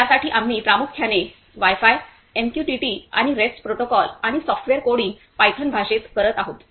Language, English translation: Marathi, So, for this we are using mainly Wi Fi, MQTT and the rest protocol the coding and software pattern done in the Python language